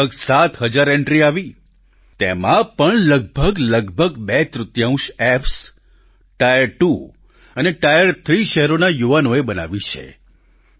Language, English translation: Gujarati, Around 7 thousand entries were received; of these too, nearly two thirds have been made by the youth of tier two and tier three cities